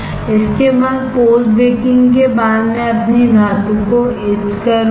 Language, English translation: Hindi, After this, after post baking I will etch my metal